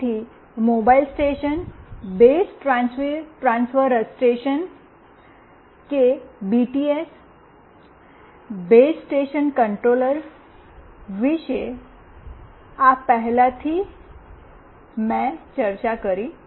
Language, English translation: Gujarati, So, this is exactly what I have already discussed about Mobile Station, Base Transceiver Station that is the BTS, Base Station Controller